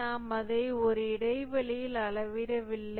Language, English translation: Tamil, We don't measure it over an interval